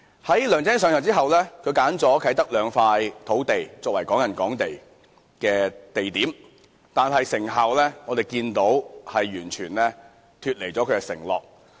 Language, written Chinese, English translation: Cantonese, "在梁振英上任後，他挑選了啟德的兩塊土地作為"港人港地"的地點，但如我們所見，成效完全脫離承諾。, After LEUNG Chun - ying has assumed office he earmarked two sites in Kai Tak for the construction of Hong Kong property for Hong Kong residents . However as we notice this is a completely different story from his undertaking